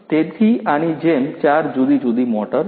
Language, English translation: Gujarati, So, like this there are four different motors